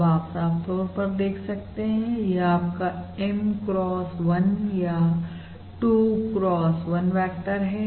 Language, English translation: Hindi, You can also see clearly this is your M cross 1, or basically your 2 cross 1 vector